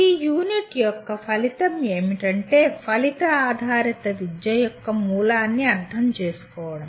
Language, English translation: Telugu, The outcomes of this unit include understand the origins of outcome based education